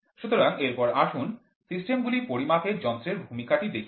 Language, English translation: Bengali, So, next let us see the role of instruments in measuring systems